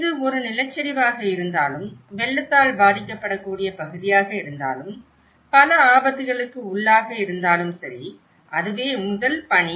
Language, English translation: Tamil, Whether it is a landslide, whether it is a flood prone area, whether it is a multiple hazard prone, so that is first task